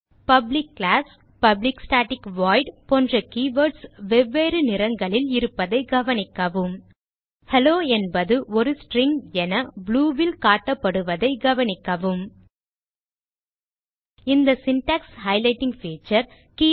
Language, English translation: Tamil, Note that the keyword public class, public static void are all in different color Also note that the word Hello is in blue color indicating that this is the string